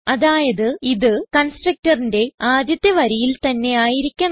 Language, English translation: Malayalam, So we must make it the first line of the constructor